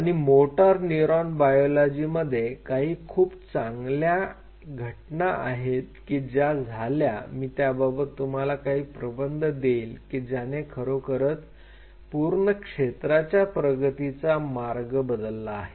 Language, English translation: Marathi, And in motor neuron biology some very smart moves which happen and I will give you the papers which you kind of give you those unique papers which really change the way the field has progressed